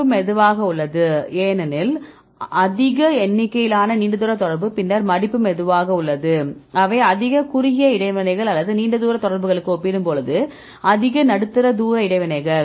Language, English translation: Tamil, Folding is slow because more number of long range contact then the there is folding is slow for example, they are more short range interactions or more medium range interactions then compared with the long range contacts